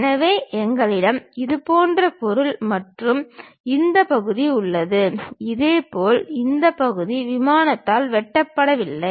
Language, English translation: Tamil, So, we have such kind of material and this part; similarly a background this part is not sliced by the plane